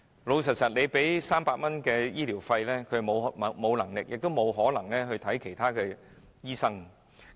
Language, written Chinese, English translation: Cantonese, 老實說，單靠300元的醫療資助，他們根本沒有能力亦不可能向其他醫生求診。, To be honest with a medical subsidy of a mere 300 they simply cannot consult other doctors